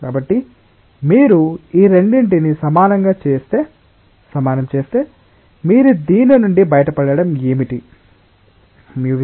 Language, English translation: Telugu, So, if you equate these two, then what you get out of this